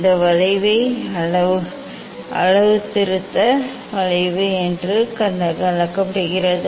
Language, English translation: Tamil, this curve is called calibration curve